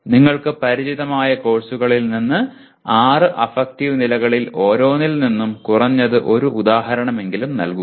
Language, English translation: Malayalam, Give at least one example from each one of the six affective levels from the courses that you are familiar with